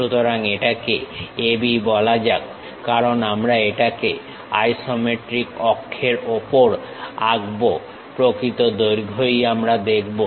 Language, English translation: Bengali, So, call this one A B because we are drawing it on isometric axis true lengths we will see